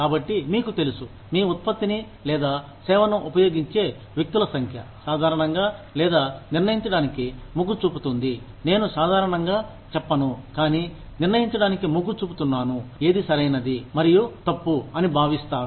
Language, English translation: Telugu, So, you know, the number of people, who use your product or service, usually, or tends to determine, I would not say, usually, but tends to determine, what is considered right and wrong